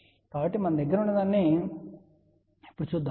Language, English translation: Telugu, So, let see now what we have here